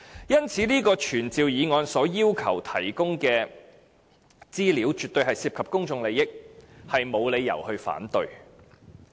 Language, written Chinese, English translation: Cantonese, 因此，這項傳召議案要求提供的資料絕對涉及公眾利益，實在沒有理由反對。, Therefore the information concerned is definitely a matter of public interest . There is really no reason to vote against the motion